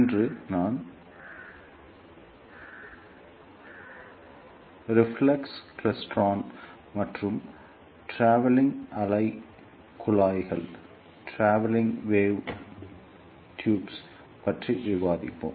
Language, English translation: Tamil, Today, I will discuss reflex klystron and travelling wave tubes